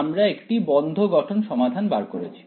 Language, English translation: Bengali, We derived a closed form solution right